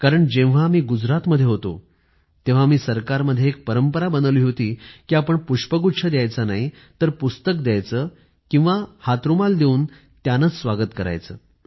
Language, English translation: Marathi, Because when I was in Gujarat, I had set this tradition of welcoming, by not giving bouquets, but books or handkerchiefs instead